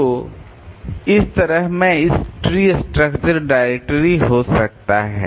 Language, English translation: Hindi, You can have a tree structure directory also